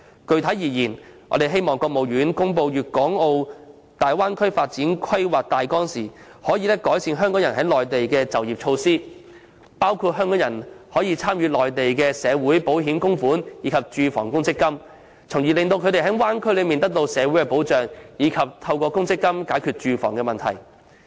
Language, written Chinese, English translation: Cantonese, 具體而言，我們希望中華人民共和國國務院在公布粵港澳大灣區發展規劃的大綱時，能改善港人在內地的就業措施，包括讓港人參加內地的社會保險及住房公積金供款安排，從而令他們可在區內得到社會保障，以及透過公積金解決住房問題。, Specifically we hope that when releasing the outline of the plan for the development of the Bay Area the State Council of the Peoples Republic of China would enhance the employment measures for Hong Kong people working on the Mainland . Among others Hong Kong people should be allowed to participate in the contribution arrangements for the Mainlands social insurance and housing accumulation funds so that they would be provided with social security protection in the region and be able to solve their housing problem with housing accumulation funds